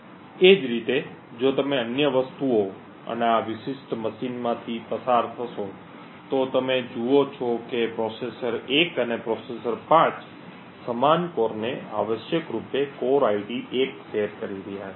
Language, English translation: Gujarati, Similarly, if you go through the other things and this particular machine you see that processor 1 and processor 5 are sharing the same core essentially the core ID 1 and so on